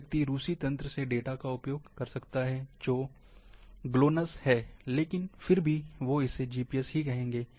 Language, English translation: Hindi, A person might be using data, from Russian network, which is GLONASS, but still they will call as GPS